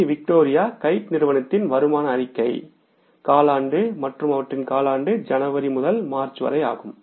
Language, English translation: Tamil, Income statement of VKC, Victoria Kite company for the quarter and their quarter is for the month of from January till March